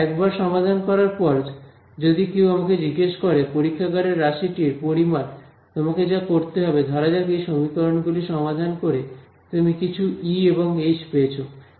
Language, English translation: Bengali, If I if someone says ok, now give me the lab quantity all you have to do is supposing you solve these equations you got some E and H out of it